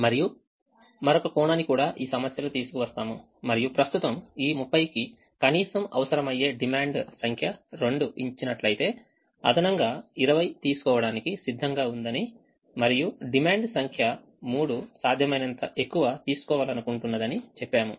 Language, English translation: Telugu, the also bring in another aspect into the problem and say that the demand number two, which right now requires minimum of this thirty, is willing to take an extra twenty is given, and demand number three would like to take as much extra as possible